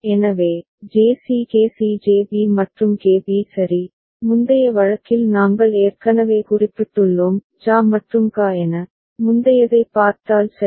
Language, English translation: Tamil, So, JC KC JB and KB right, and we have already noted in the previous case as JA and KA, if you look at the previous one ok